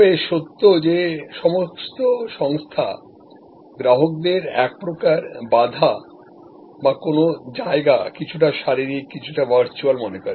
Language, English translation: Bengali, But, really all organizations looked at customers across some kind of a barrier or some kind of a place somewhat physical, somewhat virtual